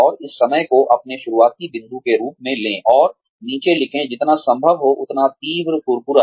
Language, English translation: Hindi, And, take this time, as your starting point, and write down, as crisply as possible